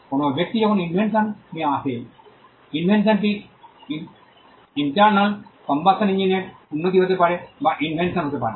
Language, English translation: Bengali, When a person comes up with an invention, the invention could be improvement in an internal combustion engine that could be an invention